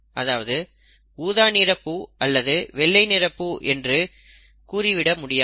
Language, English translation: Tamil, It is not either purple flowers or white flowers, okay